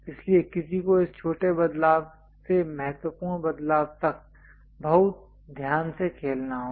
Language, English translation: Hindi, So, one has to carefully play with this small variation to large variation